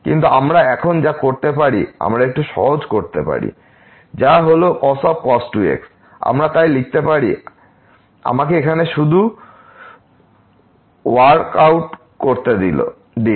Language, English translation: Bengali, But, what we can do now we can simplify a little bit so, which is we can write down as so, let me just workout here